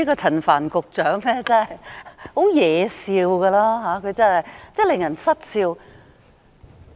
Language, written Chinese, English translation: Cantonese, 陳帆局長真的很惹笑，令人失笑。, Secretary Frank CHAN was so very hilarious that he had us laughing despite ourselves